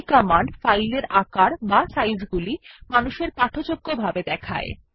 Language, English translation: Bengali, It also shows the space mounted on in a human readable format